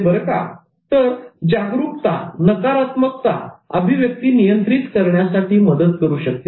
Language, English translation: Marathi, So awareness can help in controlling negative expressions